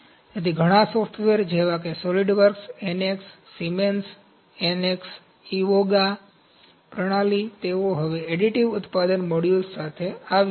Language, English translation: Gujarati, So, many software’s like Solidworks, NX, Siemens NX, Evoga systems, they have come up with the additive manufacturing modules now